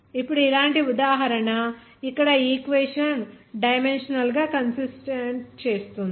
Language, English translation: Telugu, Now have an example like this here make the equation dimensionally consistent